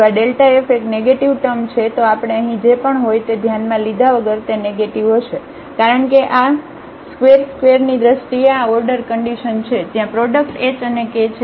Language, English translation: Gujarati, If this is a negative term delta f will be negative irrespective of whatever we have here because these are the higher order terms in terms of h square there is a product h and k